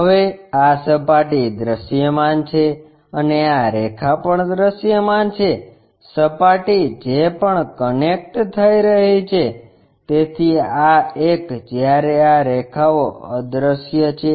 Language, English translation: Gujarati, Now, this surface is visible this surface is visible and this line is also visible, the surface whatever it is connecting; so, this one whereas, these lines are invisible